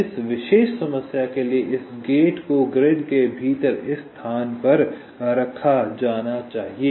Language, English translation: Hindi, so for this particular problem, this gate has to be placed in this location within the grid